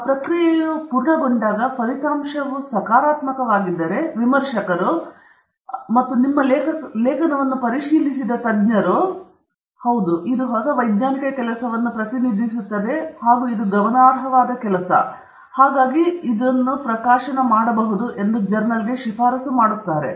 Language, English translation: Kannada, And when that process is complete, if the result is positive meaning the reviewers, those people who are the experts, who reviewed your article, if they are happy with the article – in that it represents new scientific work and it is significant work, then they will recommend to the journal saying this is worth publishing